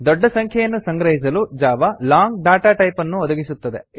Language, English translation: Kannada, To store large numbers, Java provides the long data type